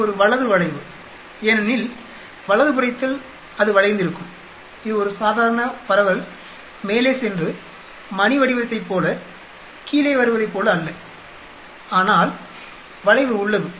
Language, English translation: Tamil, It is a right skewed because on the right hand side it is skewed, it is not like a normal distribution going up and coming down like a bell shaped, but there is skew